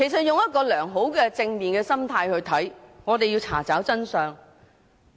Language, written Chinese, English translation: Cantonese, 從良好及正面的心態來看，我們是要查找真相。, Our well - intentioned and positive objective is to dig the truth up